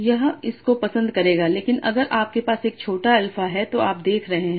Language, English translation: Hindi, But if you are having a smaller alpha then what you are seeing